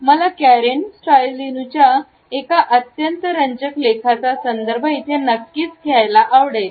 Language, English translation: Marathi, I would like to refer to a very interesting article by Karen Stollznow